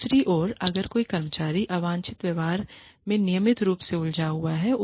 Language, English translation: Hindi, On the other hand, if an employee has been, routinely engaging in, undesirable behavior